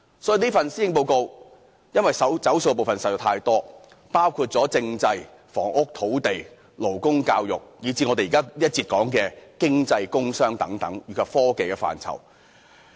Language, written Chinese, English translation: Cantonese, 由於此份施政報告"走數"的部分實在太多，包括政制、房屋、土地、勞工、教育，以至我們在這一節談及的經濟、工商及科技範疇。, As the Policy Address has gone back on too many promises made in relation to such areas as constitution housing lands labour education and the subject of this session economic development commerce and industry and technology